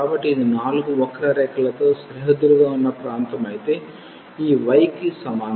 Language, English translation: Telugu, So, this is the region bounded by the 4 curves though this y is equal to